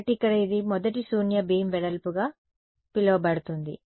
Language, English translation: Telugu, So, then this over here is it becomes it is called the First Null Beam Width